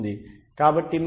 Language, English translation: Telugu, So you have a 0